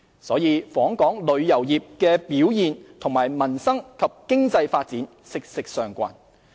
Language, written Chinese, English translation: Cantonese, 因此，訪港旅遊業的表現與民生及經濟發展息息相關。, Hence the performance of inbound tourism industry is closely related to peoples livelihood and economic development